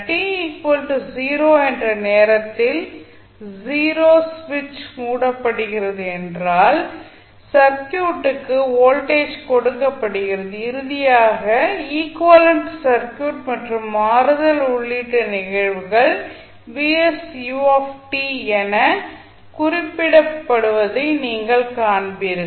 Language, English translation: Tamil, If at time t equal to 0 switch is closed means voltage is applied to the circuit and finally you will see that the equivalent circuit including the switching phenomena can be represented as vs into ut